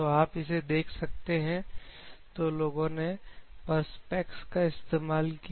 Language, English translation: Hindi, So, basically the people have taken the Perspex